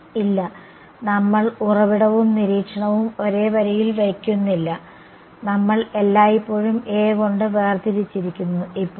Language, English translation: Malayalam, No, we are not putting the source and observation on the same line, we have always separated by A; now